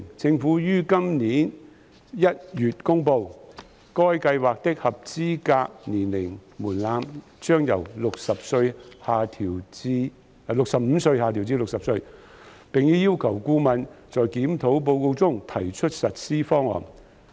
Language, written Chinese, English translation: Cantonese, 政府於今年1月公布，該計劃的合資格年齡門檻將由65歲下調至60歲，並已要求顧問在檢討報告中提出實施方案。, The Government announced in January this year that the eligible age threshold for the Scheme would be lowered from 65 to 60 and that it had requested the consultant to draw up implementation options in the review report